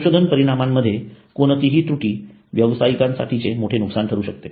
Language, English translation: Marathi, Any error in the research results can prove to be a big loss for the company